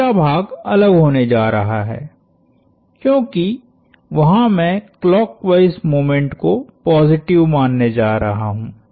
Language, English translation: Hindi, The third part is going to be different, because there is I am going to assume clockwise moments positive